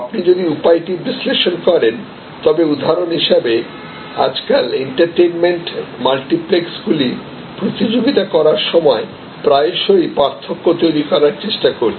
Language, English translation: Bengali, So, if you analyze the way for example, the multiplexes the entertainment multiplexers are today competing you will see their most often trying to create differentials